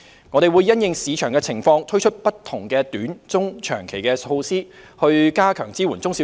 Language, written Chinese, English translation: Cantonese, 我們會因應市場情況，推出不同的短、中、長期措施，加強支援中小企。, We will introduce different short medium and long - term measures in light of the market conditions to strengthen our support for SMEs